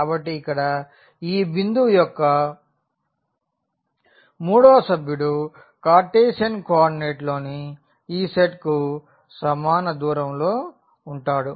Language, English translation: Telugu, So, that distance the third member of this point here is the same as this set in the Cartesian coordinate